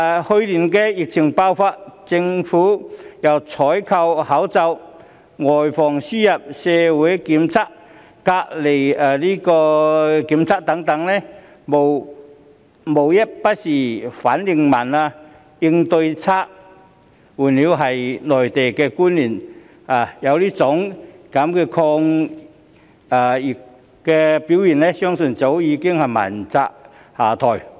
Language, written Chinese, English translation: Cantonese, 去年疫情爆發，政府由採購口罩、外防輸入，以至社區檢測、隔離檢疫等，無一不是反應緩慢、應對差勁，換作是內地官員有此抗疫表現，相信早已問責下台。, During the outbreak of the epidemic last year the Government has been criticized for its slow response and poor performance in nearly all aspects from procuring face masks preventing the importation of cases conducting community testing to making quarantine arrangements . I do believe that Mainland officers with such performance in anti - epidemic efforts would have long been held accountable and stepped down